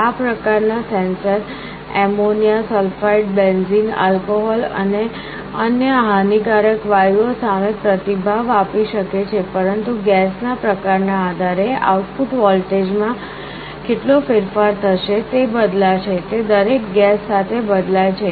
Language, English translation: Gujarati, This kind of a sensor can respond to gases like ammonia, sulphide, benzene and also alcohol and other harmful gases, but depending on the type of gas, how much change there will be in the output voltage will vary, it varies from gas to gas